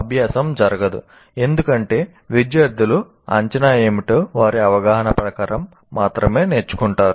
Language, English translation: Telugu, Learning will not take place because students will only learn as per their perception of what assessment is